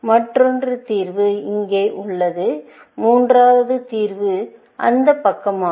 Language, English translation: Tamil, Another solution is here, and the third solution is that side, essentially